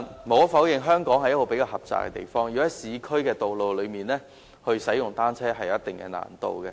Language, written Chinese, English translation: Cantonese, 無可否認，香港地方較為狹窄，在市區道路使用單車會有一定難度。, There is no denying that space is quite crammed in Hong Kong and there will be certain difficulties in riding a bicycle on urban roads